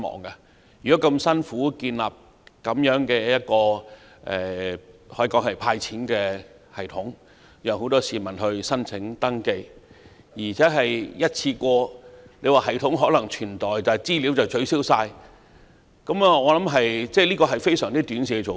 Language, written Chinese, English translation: Cantonese, 政府為"派錢"而辛苦建立一套系統，讓很多市民提出申請和登記，但其後即使系統可以保存，但全部資料都必須取消，我覺得這是非常短視的做法。, The Government has spent so much effort to develop a system for members of the public to apply and register for the cash handout yet even if the system itself can be retained subsequently all the data collected must be deleted . I find this approach very short - sighted